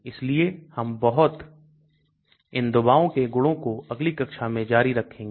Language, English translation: Hindi, So we will continue more on these drug properties in the next class as well